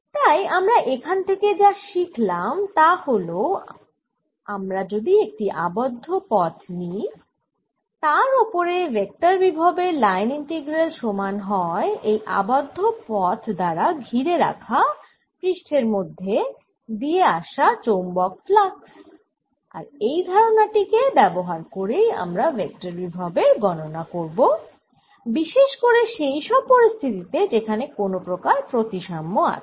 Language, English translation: Bengali, therefore, what we learn from this is that if i take around a close path, the line integral or vector potential a, it is equal to the magnetic flux passing through the area enclosed by the curve, and this we can make use of in calculating the vector potential, particularly in those situations where the there's some sort of a symmetry